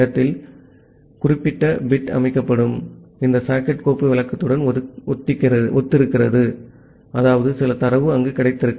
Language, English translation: Tamil, So, this particular bit corresponds to this socket file descriptor that will get set; that means, some data is available there